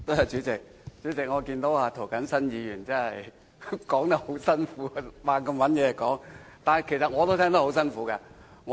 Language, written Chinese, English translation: Cantonese, 主席，我發現涂謹申議員發言有困難，要不斷找話說，但其實我也聽得很辛苦。, President I find that Mr James TO had difficulty delivering his speech as he had to keep trying to say something in an attempt to make up a speech and that made me feel rather uneasy